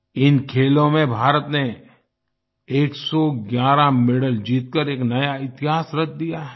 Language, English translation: Hindi, India has created a new history by winning 111 medals in these games